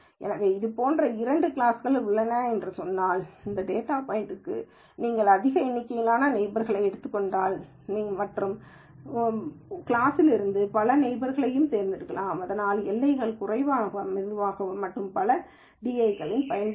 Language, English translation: Tamil, So, because if let us say there are two classes like this, then for this data point if you take a large number of neighbors, then you might pick many neighbors from the other class also, so that can make the boundaries less crisp and more di use